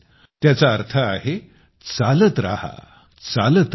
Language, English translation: Marathi, It means keep going, keep going